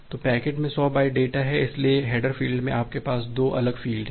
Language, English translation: Hindi, So the packet has 100 byte data, so in the header field you have 2 different field